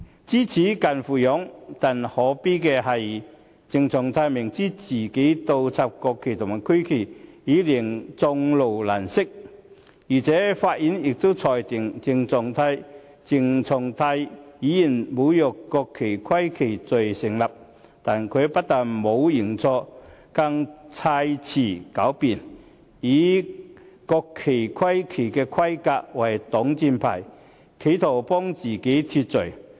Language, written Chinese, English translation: Cantonese, 知耻近乎勇，但可悲的是，鄭松泰明知自己倒插國旗和區旗已令眾怒難息，而且法院亦裁定鄭松泰侮辱國旗及區旗罪成，但他不但沒有認錯，更砌詞狡辯，以國旗區旗的規格為擋箭牌，企圖為自己脫罪。, Those with a sense of shame are akin to being courageous . What is most pathetic is that CHENG Chung - tai clearly knows that his act of inverting the national flag and regional flag has sparked a public outrage in addition he was convicted by the Court of desecrating the national flag and regional flag . Yet he has not admitted any wrongdoing on his part instead he has made up all sorts of lame excuses using the specifications of the national flag and regional flag as a shield in an attempt to absolve himself of the blame